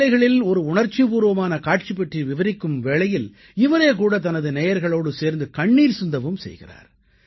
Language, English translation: Tamil, Sometimes while relating to an emotional scene, he, along with his listeners, cry together